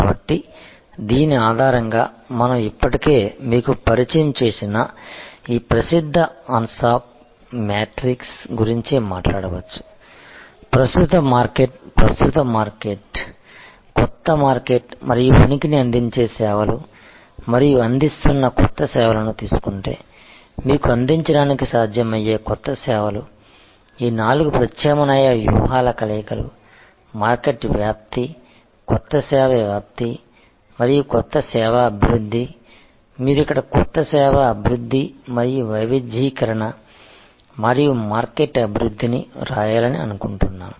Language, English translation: Telugu, So, based on this we can talk about this famous ansoff matrix which have already introduce to you earlier that if we take current market, present market, new market and presence services being offered and new services that are possible for offering you can develop this four alternative a strategy combinations, market penetration, new service penetration and new service development rather, I think you should write here new service development and diversification and market development